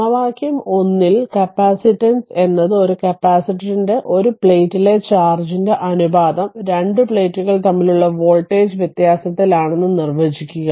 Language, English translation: Malayalam, So, from equation 1, one may we may define that capacitance is the ratio of the charge on one plate of a capacitor to the voltage difference between the two plates right